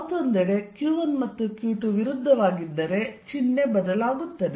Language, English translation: Kannada, On the other hand, if q 1 and q 2 are opposite the sign changes